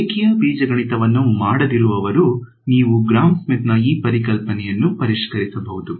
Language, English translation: Kannada, So, those who have few who have not done linear algebra you can revise this concept of Gram Schmidt